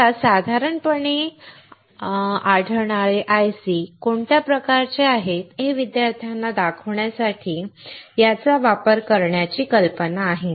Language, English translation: Marathi, The idea is to use it to show the students what are the kind of ICs that that you generally come across